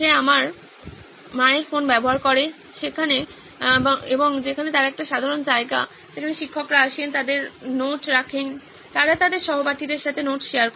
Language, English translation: Bengali, He uses my mom’s phone where they have a common place where teachers come, put up their notes, they share notes with their classmates